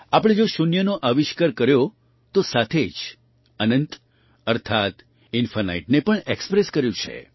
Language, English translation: Gujarati, If we invented zero, we have also expressed infinityas well